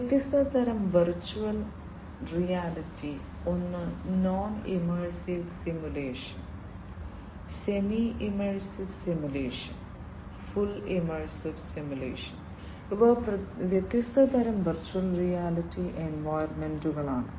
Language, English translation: Malayalam, Different types of virtual reality; one is non immersive simulation, semi immersive simulation, fully immersive simulation these are different types of virtual reality environments